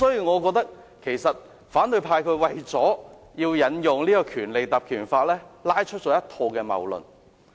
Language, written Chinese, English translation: Cantonese, 我認為，反對派為了引用《條例》，提出了一套謬論。, I think the opposition camp has put forward an absurd argument for the sake of invoking the Ordinance